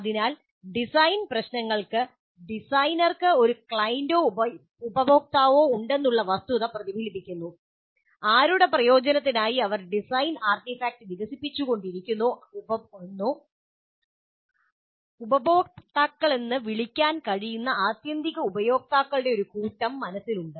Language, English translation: Malayalam, So design problems reflect the fact that the designer has a client or a customer who in turn has in mind a set of ultimate users who can be called as customers